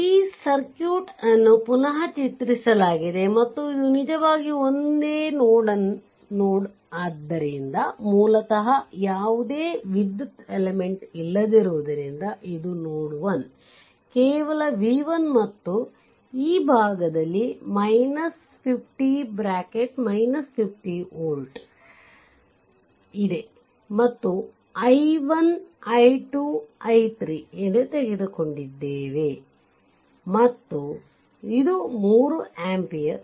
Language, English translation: Kannada, So, basically this one because no electrical element is here no electrical element is so, basically it say node 1, right only v 1 and this side is ah plus minus 50 volt and this is your ah i 1, this current, we have taken i 2 and this current is i 3 and this is 3 ampere